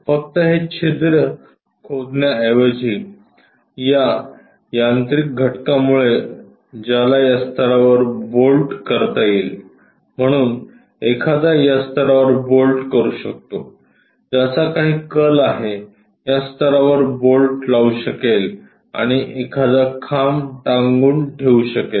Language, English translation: Marathi, Instead of just digging the hole, having this mechanical element which one can bolt it at this level, so one can bolt it at this level bolt it this level having some kind of inclination, and one can really suspend a pole